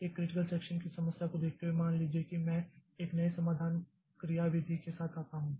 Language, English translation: Hindi, Like given a critical section problem, so suppose I come up with a new solution